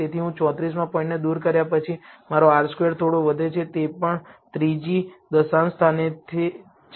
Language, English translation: Gujarati, So, after I remove the 34th point my R squared slightly increases; that is also from the 3rd decimal place